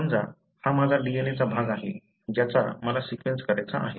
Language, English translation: Marathi, Say, suppose this is my DNA region that I want to be sequenced